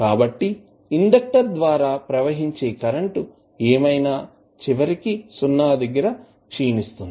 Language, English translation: Telugu, So, whatever is there the current which is flowing through the inductor will eventually decay out to 0